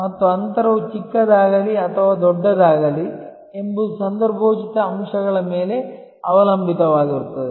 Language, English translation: Kannada, And that whether the gap will be small or larger will depend on what are the contextual factors